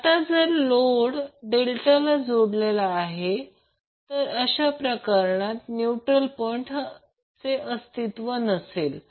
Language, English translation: Marathi, Now if the load is Delta connected, in that case the neutral point will be absent